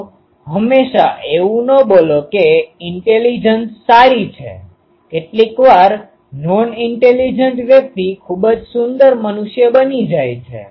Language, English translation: Gujarati, So, do not always say that intelligence is good sometimes non intelligent persons becomes very beautiful human beings